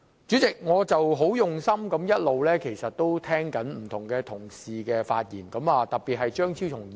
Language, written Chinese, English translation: Cantonese, 主席，我一直很用心聆聽不同同事的發言，特別是張超雄議員。, Chairman I have all along been listening attentively to the speeches of various Honourable colleagues particularly Dr Fernando CHEUNG